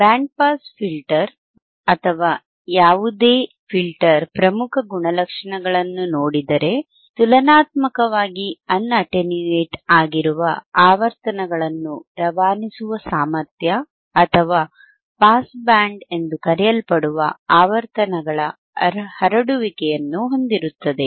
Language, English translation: Kannada, See the principal characteristics of a band pass filter or any filter for that matter is it is ability to pass frequencies relatively un attenuated over a specific band, or spread of frequencies called the pass band